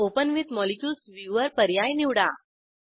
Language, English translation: Marathi, Select the option Open With Molecules viewer